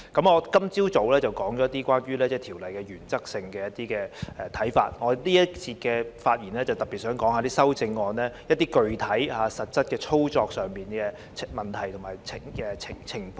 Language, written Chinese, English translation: Cantonese, 我今早已就《條例草案》提出了一些原則性的看法，而我在本節的發言會特別針對修正案，提出具體及實質操作上的問題和情況。, Having expressed some views on the Bill in principle this morning I would focus my speech in this session on the amendments by raising some issues and situations in respect of practical and actual operation